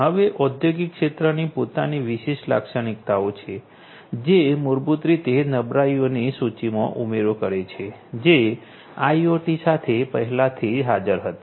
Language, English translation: Gujarati, Now, the industrial sector has its own different characteristics, which basically adds to the list of vulnerabilities that were already existing with IoT